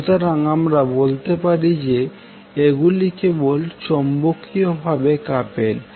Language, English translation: Bengali, So we can say that they are simply magnetically coupled